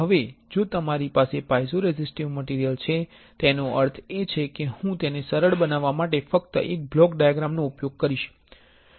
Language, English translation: Gujarati, Now, if you have a piezoresistive material; that means, say I will just use a block diagram to make it easier